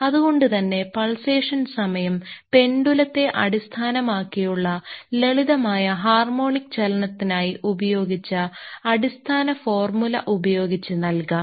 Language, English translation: Malayalam, So, the period of pulsation can be given by the basic formula if you remember for simple harmonic motion, based on a pendulum